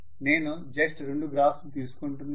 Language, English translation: Telugu, I am just taking two graphs